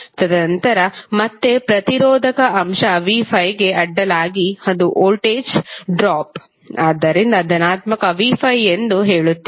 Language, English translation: Kannada, And then again across resistive element v¬5 ¬it is voltage drop so we will say as positive v¬5¬